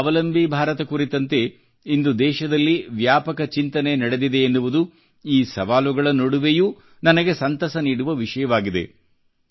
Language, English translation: Kannada, Amidst multiple challenges, it gives me joy to see extensive deliberation in the country on Aatmnirbhar Bharat, a selfreliant India